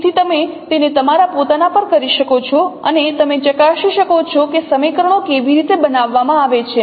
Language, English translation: Gujarati, So you can do it on your own and you can check how these equations are formed